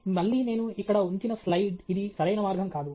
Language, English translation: Telugu, Again, this is what I have put up here is a slide that is not the right way to do it